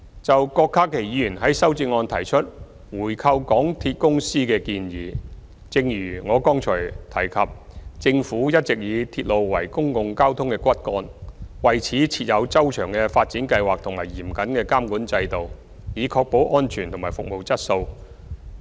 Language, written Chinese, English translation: Cantonese, 就郭家麒議員在修正案中提出回購港鐵公司的建議，正如我剛才提及，政府一直以鐵路為公共交通的骨幹，為此設有周詳的發展計劃和嚴謹的監管制度，以確保安全及服務質素。, In his amendment Dr KWOK Ka - ki suggests buying back all the remaining shares of MTRCL . As I mentioned earlier the Government has all along used railway as the backbone of public transport . To this end we have detailed development plans and strict regulatory regimes to ensure safety and service quality